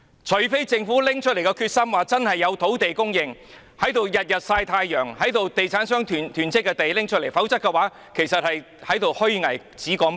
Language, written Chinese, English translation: Cantonese, 除非政府真的下定決心確保有土地供應，動用現時天天"曬太陽"和地產商囤積的土地，否則便是虛偽，只說不做。, Unless the Government is really determined to ensure a steady land supply and use the sunbathing sites and lands hoarded by property developers for housing construction; otherwise it is just a hypocrite making empty promises and taking no action